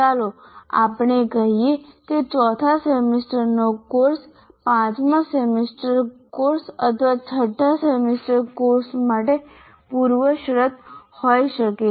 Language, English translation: Gujarati, Let's say a fourth semester course can be prerequisite to a fifth semester course or a sixth semester course